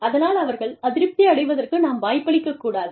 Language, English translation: Tamil, We do not give them, a chance to be dissatisfied